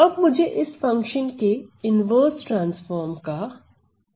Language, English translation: Hindi, So, then I have to use the inverse transform to this function